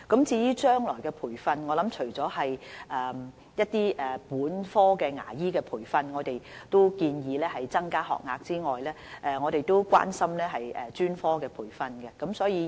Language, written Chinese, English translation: Cantonese, 至於將來的培訓工作，政府除了建議本科牙醫培訓增加學額外，亦關心專科培訓的事宜。, As regards the future training apart from proposing an increase in the number of undergraduate dental training places the Government is also concerned about the provision of specialty training